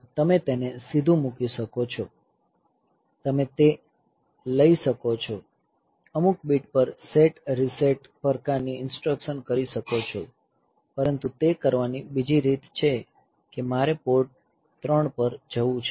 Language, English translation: Gujarati, So, you can directly put, you can take those, do some bit set reset type of instruction and do that, but another way of doing, it is I want to go to port 3